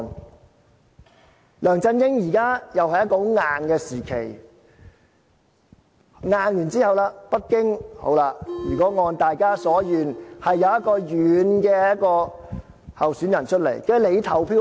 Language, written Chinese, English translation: Cantonese, 現在梁振英時代又是一個很強硬的時期，強硬之後，如果北京按大家所願，推一個軟善的候選人出來，你就投票給他。, The present rule under LEUNG Chun - ying has been a period of sternness . Now if Beijing heeds the wish of people and rolls out a milder candidate after this period of sternness people will probably vote for this candidate